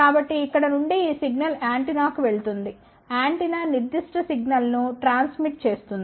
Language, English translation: Telugu, So, this signal from here goes to the antenna, antenna transmits that particular signal